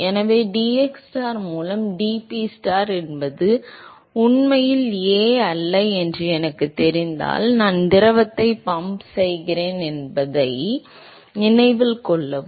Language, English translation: Tamil, So, if I know what dPstar by dxstar which is actually not a, so note that I am pumping the fluid, right